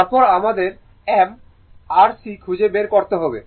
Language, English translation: Bengali, Then you have to obtain m you have to obtain C right